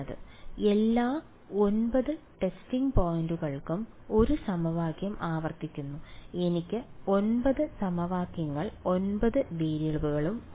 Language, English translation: Malayalam, So, I get 1 equation repeated for all 9 testing points I get 9 equations 9 variables ok